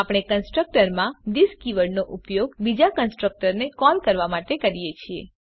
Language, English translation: Gujarati, We can use this keyword inside a constructor to call another one